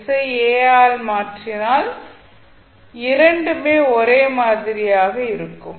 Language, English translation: Tamil, If you replace s by s by a both will be same